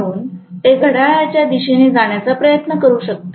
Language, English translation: Marathi, So it may try to move in the anti, the clockwise direction